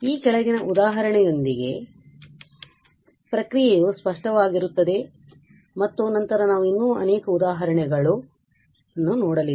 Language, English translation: Kannada, So, the process will be clear with the following example and then we will be doing many other examples